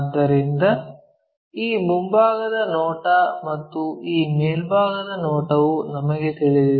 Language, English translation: Kannada, So, somehow, we know this front view and this top view also we know